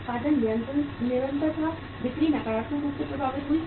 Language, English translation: Hindi, The production was continuous, sales were affected negatively